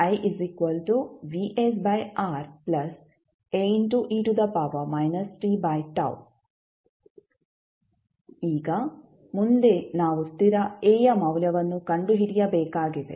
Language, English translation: Kannada, Now, next we have to find the value of constant a